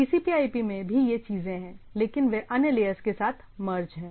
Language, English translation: Hindi, In the TCP/IP also this things are there, but they are merged with the other layers right